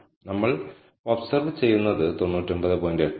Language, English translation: Malayalam, What we observe is 99